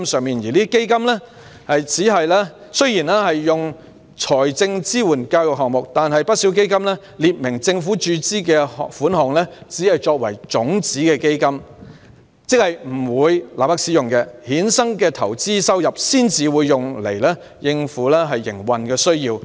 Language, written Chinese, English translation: Cantonese, 這些基金雖然支援教育項目，但不少基金列明政府注資的款項只用作種子基金，即不會立即使用，所衍生的投資收入才會用來應付營運需要。, Although these funds support education projects many of them specify that the amounts invested by the Government will only be used as seed capital ie . the amounts will not be immediately used and only the investment incomes derived will be used to meet operational needs